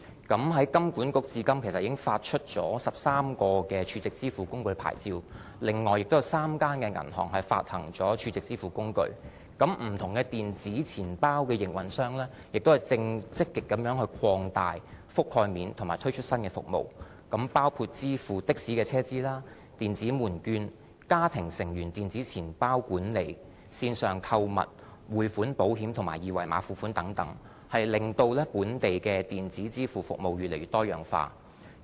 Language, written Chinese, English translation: Cantonese, 金管局至今已發出13個儲值支付工具牌照，此外亦有3間銀行發行儲值支付工具，不同的電子錢包的營運商正積極地擴大其覆蓋面和推出新服務，包括支付的士的車資、電子門券、家庭成員電子錢包管理、線上購物、匯款、保險和二維碼付款等，令本地的電子支付服務越來越多樣化。, To date HKMA has already issued 13 stored value facility licences and there are currently three banks issuing stored value facilities . Different e - wallet operators are actively expanding the coverage and launching new services including electronic payment for taxi charges electronic coupons family group e - wallet management online shopping remittance insurance and QR code payment . All this has made our local electronic payment services increasingly diverse